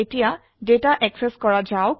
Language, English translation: Assamese, let us now access data